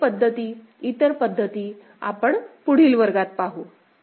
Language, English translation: Marathi, More methods, other methods we shall see in the next class